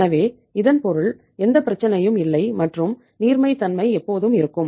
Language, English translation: Tamil, So it means there is no problem and liquidity is always there